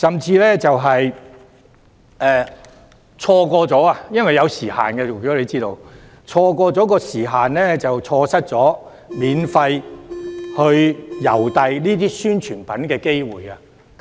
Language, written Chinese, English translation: Cantonese, 此外，大家亦知道，郵遞是有時限的，這甚至會令候選人錯失免費郵寄宣傳品的機會。, In addition we all know that mail delivery is time - bound and this might even render the candidates missing the opportunity of having their publicity materials posted free of charge